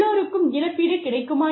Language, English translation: Tamil, So, they have been compensated